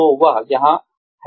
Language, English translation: Hindi, So, that is there